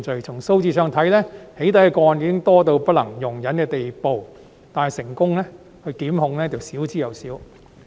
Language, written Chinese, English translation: Cantonese, 從數字上看，"起底"個案已經多至不能容忍的地步，但成功檢控卻少之又少。, Among these cases four defendants were convictedJudging from the figures the number of doxxing cases has already grown to an intolerable extent but successful prosecutions are few and far between